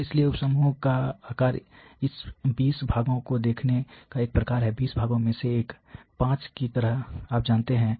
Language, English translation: Hindi, So, therefore, the sub group size have a sort of fixed looking at this 20 parts one in 20 parts as sort of 5 you know